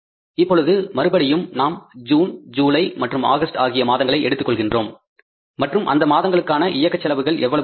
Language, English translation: Tamil, Now again we are going to take these as June, July, August and the operating expenses are going to be how much